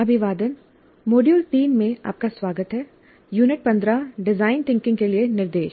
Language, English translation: Hindi, Greetings, welcome to module 3, Unit 15 Instruction for Design Thinking